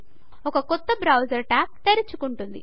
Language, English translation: Telugu, Click on it A new browser tab opens